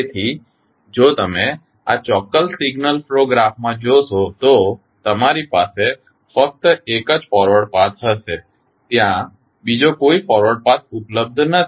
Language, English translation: Gujarati, So, if you see in this particular signal flow graph you will have only one forward path there is no any other forward path available